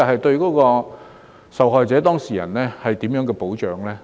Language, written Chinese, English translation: Cantonese, 對於受害者/當事人而言，保障何在？, What safeguards do the victimsdata subjects have may I ask?